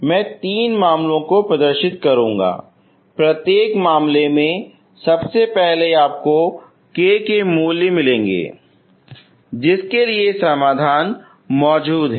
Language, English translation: Hindi, So I will demonstrate you will have three cases, in each case first of all you will find what are the values of k for which you have the solutions